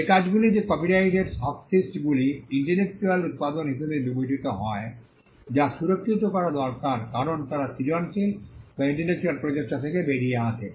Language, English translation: Bengali, The works on which copyright subsists are regarded as intellectual production which need to be protected because they come out of a creative or intellectual effort